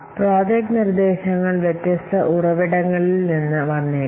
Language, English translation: Malayalam, So projects projects proposals may come from different sources